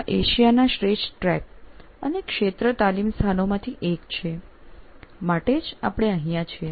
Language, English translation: Gujarati, We are in one of Asia's finest track and field training places